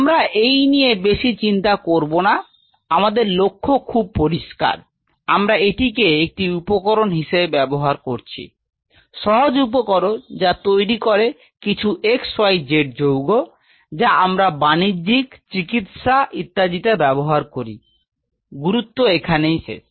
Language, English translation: Bengali, So, we are not really bothered about it, our goal is very clear we are using this as a tool; simple tool produces some xyz compound of our own commercial, medical, significance full stop